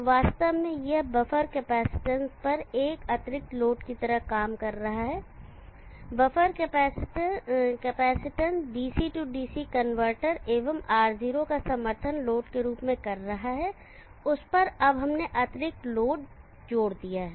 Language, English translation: Hindi, So actually this is acting like an additional load of the buffer capacitance, the buffer capacitance is supporting DC DC converter +Ro as the load to that now we have added the additional load